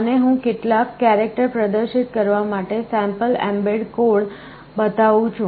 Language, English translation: Gujarati, And I am showing a sample mbed code to display some characters